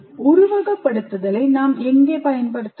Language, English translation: Tamil, Where can we use simulation